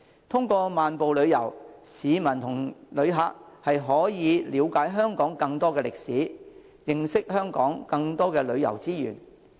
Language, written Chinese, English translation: Cantonese, 通過漫步旅遊，市民及旅客可以了解香港更多歷史，認識香港更多旅遊資源。, By taking walking tours in these areas local residents as well as tourists can gain a better understanding of Hong Kongs history and tourism resources